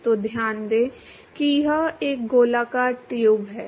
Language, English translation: Hindi, So, note that it is a circular tube